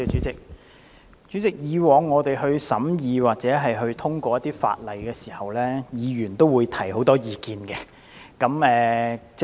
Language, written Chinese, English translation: Cantonese, 主席，以往審議一些法案時，議員均會提出很多意見。, President in the past when Bills were put through scrutiny Members would raise many views